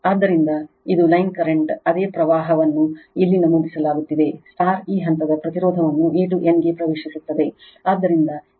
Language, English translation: Kannada, So, it is line current same current here is entering into this phase impedance A to N